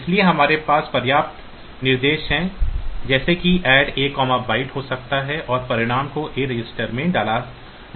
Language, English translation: Hindi, So, we can have like adequate instruction, like Add A comma byte Add A 2 byte and put the result in A register, Add C comma byte